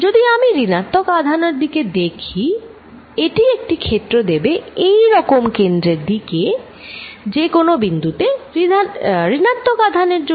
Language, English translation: Bengali, If I look at the negative charge it gives me a field like this towards the centre, because the negative charge at any point